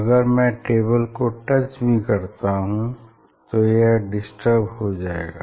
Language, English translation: Hindi, If I task the table then it is it will get disturbed